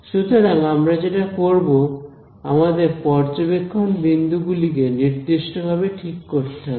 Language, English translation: Bengali, So, what we will do is let us choose our the observation point let us choose them systematically